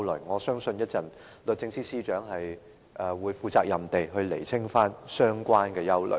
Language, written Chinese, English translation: Cantonese, 我相信律政司司長稍後會負責任地釐清相關的疑慮。, I believe that the Secretary for Justice will responsibly clarify the relevant worries in a while